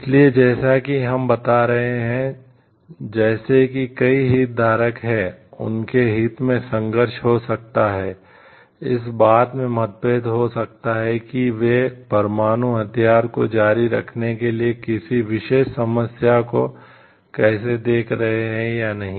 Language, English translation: Hindi, So, there could be as we are telling like as there are multiple stakeholders, there could be conflict in their interest, there could be differences in how they are looking at a particular problem of whether to continue having nuclear weapon or not